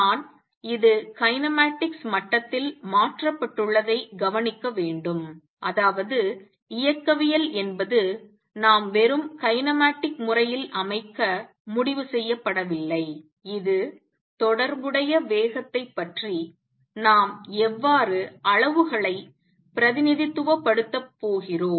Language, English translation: Tamil, I just want to note this is changed at the kinematics level; that means, kinetics is not is decided we just set kinematically this is how we are going to represent the quantities how about the corresponding velocity